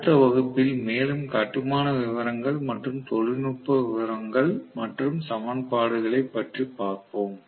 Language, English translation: Tamil, So, we look at the further constructional details and technical details and equations in the next class